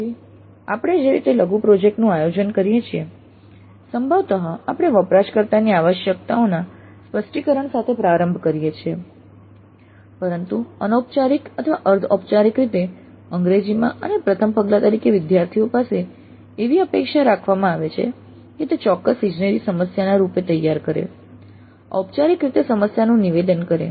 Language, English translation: Gujarati, So, the way we organize the mini project, probably we start with the specification of the user requirements but informally or semi formally in English and as a first step the students are expected to formulate that as a specific engineering problem